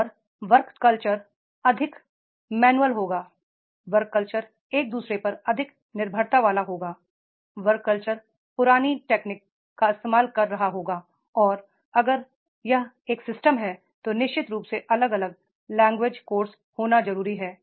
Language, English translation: Hindi, And work culture will be more manual, work culture will be more dependency on each other, work culture will be making the use of the old technology and if this is a system then definitely that has to be having the different language course